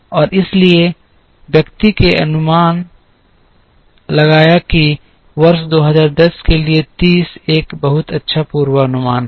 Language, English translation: Hindi, And therefore, the person estimated that 30 is a very good forecast for the year 2010